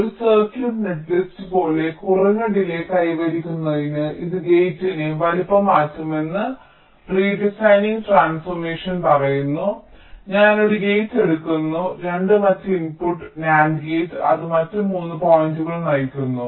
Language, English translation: Malayalam, it says that i change the size of the gate to achive a lower delay, like: suppose i have a circuit netlist like this: i take one gate, ah, two input nand gate which is driving three other points